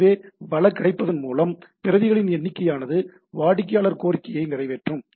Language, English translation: Tamil, So as much as based on the resource availability, the amount of the number of copies will be going on serving the client request